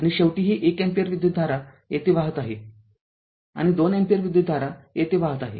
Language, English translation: Marathi, And finally, this 1 ampere current here is flowing and 2 ampere current is flowing here